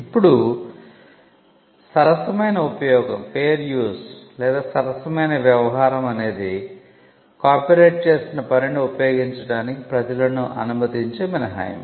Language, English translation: Telugu, Now, fair use or fair dealing is one such exception which allows people to use copyrighted work